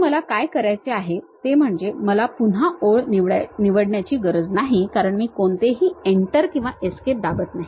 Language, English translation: Marathi, So, what I have to do is I do not have to really pick again line because I did not press any Enter or Escape button